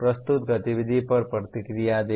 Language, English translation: Hindi, Give feedback on a presented activity